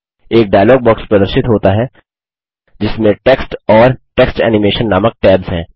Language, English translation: Hindi, A dialog box appears which has tabs namely Text and Text Animation